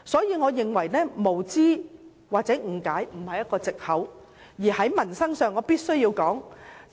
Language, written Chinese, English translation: Cantonese, 因此，我認為無知或誤解並非藉口，而在民生上，我要說一件事。, Hence I do not think ignorance or misunderstanding should be an excuse and I wish to talk about something I heard from the community